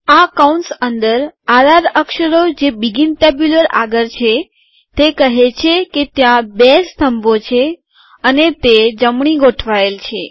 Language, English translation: Gujarati, The r r characters within the braces next to the begin tabular say that there are two columns and that they are right aligned